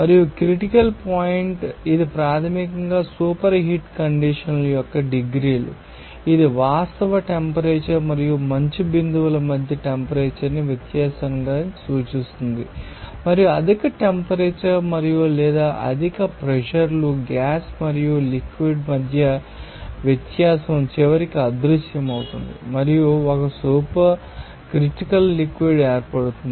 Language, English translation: Telugu, And Critical point it is basically the degrees of superheat condition that will refer to the difference in the temperature between the actual temperature and the dew point and you will see that higher temperature and or higher pressures, the difference between a gas and a liquid eventually to disappears, and a supercritical fluid is formed and appoint at who is this supercritical condition of the fluid happened, it will be called as a critical point